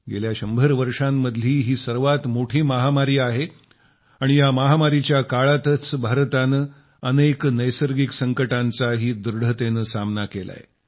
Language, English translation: Marathi, This has been the biggest pandemic in the last hundred years and during this very pandemic, India has confronted many a natural disaster with fortitude